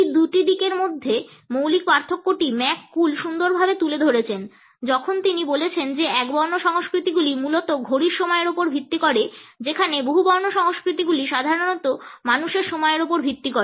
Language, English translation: Bengali, The basic difference between these two orientations has been beautifully summed up by McCool when he says that the monochronic cultures are based primarily on clock time whereas, polychronic cultures are typically based on people time